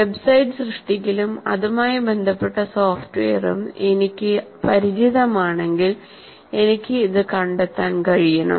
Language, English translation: Malayalam, Because if I'm familiar with the subject of website creation and the software related to that, I should be able to find this